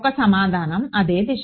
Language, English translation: Telugu, One answer is same direction